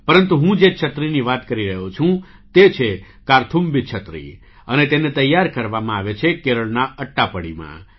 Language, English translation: Gujarati, But the umbrella I am talking about is ‘Karthumbhi Umbrella’ and it is crafted in Attappady, Kerala